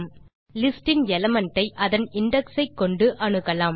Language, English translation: Tamil, We access an element of a list using its corresponding index